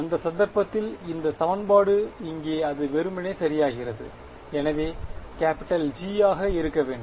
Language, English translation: Tamil, In that case, this equation over here it simply becomes right, so this should be capital G ok